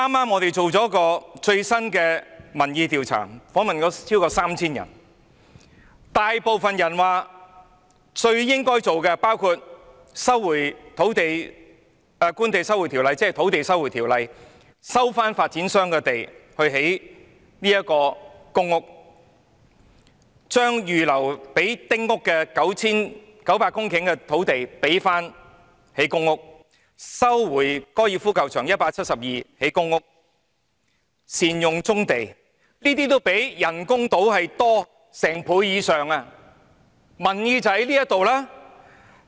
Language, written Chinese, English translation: Cantonese, 我們剛剛進行了一項民意調查，訪問了超過 3,000 人，大部分受訪者表示最應該做的事包括引用《收回土地條例》，收回發展商擁有的土地來興建公屋、把預留作興建丁屋的900公頃土地用作興建公屋、收回粉嶺高爾夫球場的172公頃土地，用作興建公屋、善用棕地等。, Is this not going too far? . We have just conducted a public opinion survey in which over 3 000 people were interviewed . The great majority of the respondents held that the right measures to take include invoking the Land Resumption Ordinance LRO to resume land owned by property developers and use it to build public housing to use the 900 hectares of land reserved for the construction of small houses to build public housing resuming the 172 hectares of land occupied by the golf course in Fanling and use it for the construction of public housing making good use of brownfield sites and so on